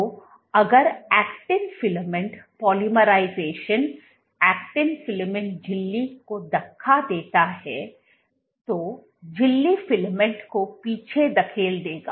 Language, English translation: Hindi, So, if the actin filament the polymerizing acting filament pushes the membrane, the membrane will push the filament back